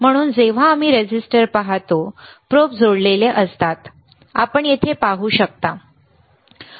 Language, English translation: Marathi, So, when we see the resistor, the probes are connected you can see here, right